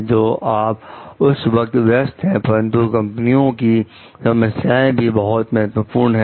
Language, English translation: Hindi, So, you are busy at that point of time, but company is difficulty is also important